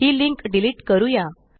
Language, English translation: Marathi, Let us delete this link